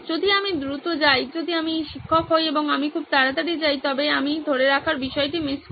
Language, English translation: Bengali, If I go fast, if I am the teacher and I go very fast I sort of miss out on the retention